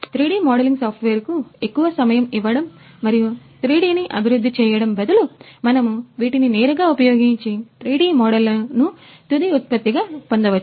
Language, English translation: Telugu, So, instead of giving more time to 3D modelling software and developing the 3D models, we can directly use this and obtain the 3D models as a final product